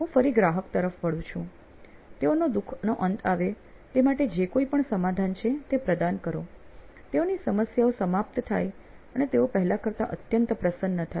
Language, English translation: Gujarati, I go back to my customer, offer them whatever your solution is to make sure that their suffering is ended, their problems are over, they are much happier than they were before